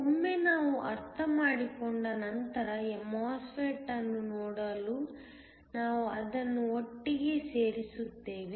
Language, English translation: Kannada, Once we understood that we will put it together in order to look at the MOSFET